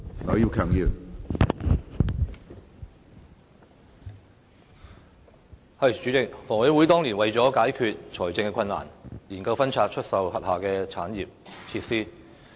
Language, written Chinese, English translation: Cantonese, 主席，香港房屋委員會當年為解決財政困難，研究分拆出售轄下的產業設施。, President the Hong Kong Housing Authority HA studied the divestment of its assets and facilities to resolve its financial difficulties back then